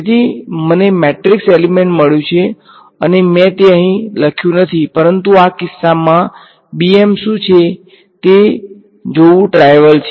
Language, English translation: Gujarati, So, I have got a matrix element and I did not write it over here, but it is trivial to see what is bm in this case